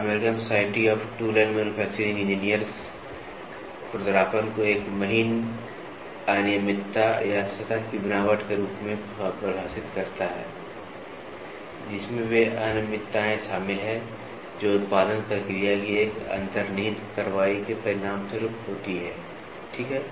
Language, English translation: Hindi, American society of tool and manufacturing engineers defines roughness as a finer irregularities or in the surface texture, including those irregularities that results from an inherent action of a production process, ok